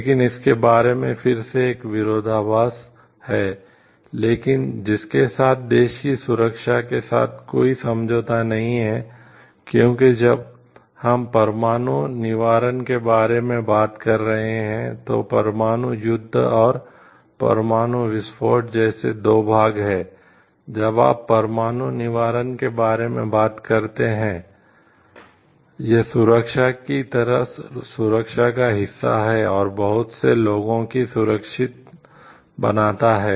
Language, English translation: Hindi, But again there is a paradox about it so, but a with which talks of not to compromise with the security of the country, because when we are talking of nuclear deterrence, there are two parts like nuclear warfare and, nuclear deterrence when you are talking of nuclear deterrence, it is the security part of the like self defense and making much of secure